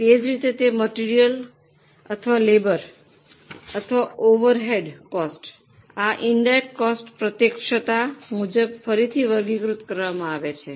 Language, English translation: Gujarati, Like that, whether it is material or labor or overheads, those costs now are being reclassified as per directness